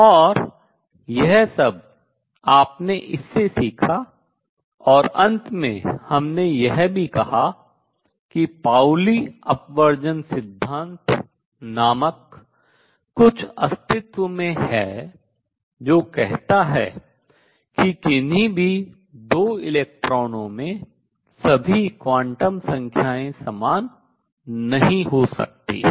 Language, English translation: Hindi, And what you learned in the all this and finally, we also said something called the Pauli Exclusion Principle exist that says is that no 2 electrons can have all the quantum numbers the same